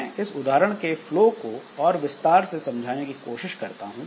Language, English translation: Hindi, So, I will try to explain this example or this flow in more detail